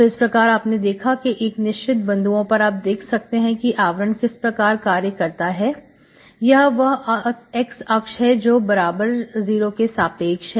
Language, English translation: Hindi, So you can see these are the things, at any point, you can see what is the envelope here, this is the x axis that is y equal to 0